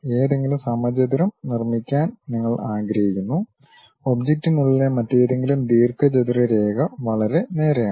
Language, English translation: Malayalam, You would like to construct any square, any other rectangle line within the object it is pretty straight forward